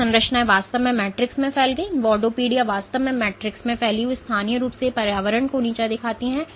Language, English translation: Hindi, So, these structures actually protrude into the matrix, invadopodia actually protrude into the matrix and degrade the environment locally